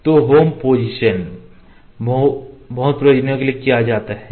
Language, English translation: Hindi, So, going to home position multi purpose purposes